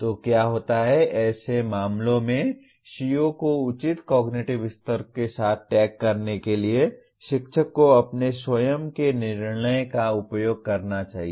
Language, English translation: Hindi, So what happens is the teacher should use his or her own judgment in such cases to tag the CO with appropriate cognitive level